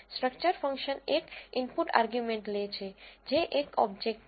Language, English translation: Gujarati, Structure function takes one input argument which is an object